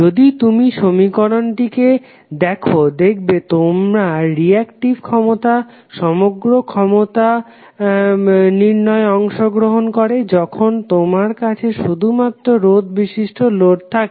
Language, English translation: Bengali, So if you see the equation your reactive power would not be contributing in the overall power calculation when you have only the resistive load